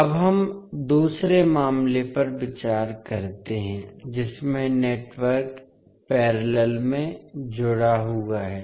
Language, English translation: Hindi, Now, let us consider the second case in which the network is connected in parallel